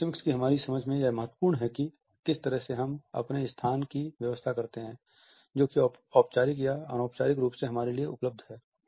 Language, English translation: Hindi, In our understanding of proximity, the way we arrange our space which is available to us in a formal or an informal setting is also important